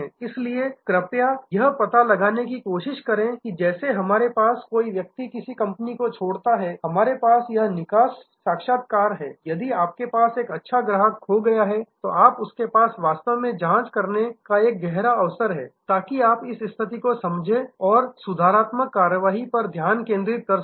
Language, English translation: Hindi, So, please try to find out just as we have an a somebody leaves a company, we have this exit interviews try to have exit interviews with if you have by chance lost a good customer, a long term customer you must have really good in depth understanding of the situation and see corrective actions are taken